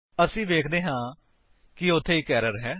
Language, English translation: Punjabi, we see that there is an error